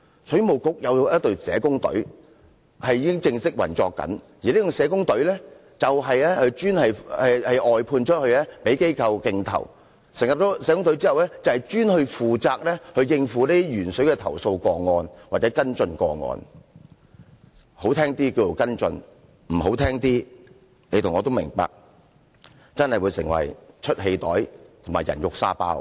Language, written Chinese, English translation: Cantonese, 水務局有一隊已經正式運作的社工隊，而這隊社工隊是外判的，供其他機構競投，成立社工隊後，專門負責應付鉛水投訴個案或跟進個案，說得好聽一點是跟進，不好聽的，你和我都明白，確實會成為出氣袋和"人肉沙包"。, It is an out - sourced team provided by other organization by tender . The social worker team is established to exclusively handle and follow up cases or complaints on lead - tainted water . To put it in a nice way the team is to follow up these cases but you and I know no better that the team actually serves to let people vent their anger